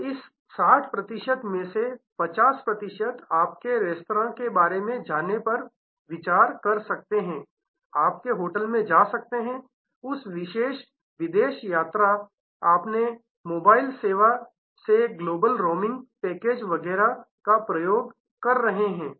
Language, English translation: Hindi, So, 50 percent of this 60 percent may consider going to your restaurant, going to your hotel, taking that particular foreign travel, global roaming package from your mobile service, etcetera